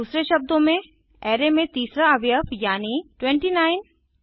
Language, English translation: Hindi, In other words, the third element in the array i.e.29